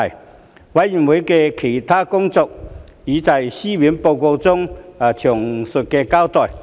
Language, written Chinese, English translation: Cantonese, 事務委員會的其他工作已在書面報告中詳細交代。, A detailed account of the other work of the Panel can be found in the written report